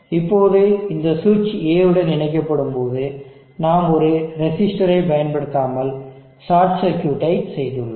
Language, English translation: Tamil, Now this switch when it is connected to A, we do not use a resistor now we just did a short circuit